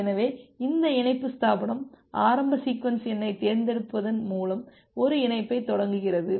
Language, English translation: Tamil, So this connection establishment it initiate a connection by selecting the initial sequence number